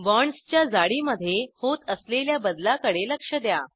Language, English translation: Marathi, Note the change in the thickness of the bonds